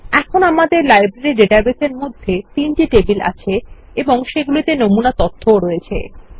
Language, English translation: Bengali, Now, we have the three tables in our Library database, with sample data also